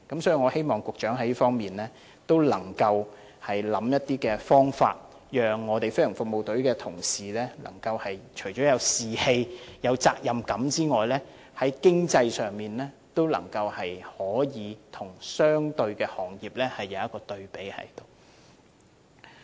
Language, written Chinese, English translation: Cantonese, 所以，我希望局長能在這方面想出方法，讓飛行服務隊的同事除有士氣、責任感外，在經濟上也能與相關的行業可比較。, I therefore hope that the Secretary can think of some means to boost the morale of GFS colleagues develop their sense of responsibility and to provide the levels of remunerations which are comparable to those of similar positions in the private sector